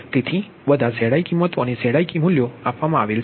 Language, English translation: Gujarati, so all all zi value, all zi value z ik values are given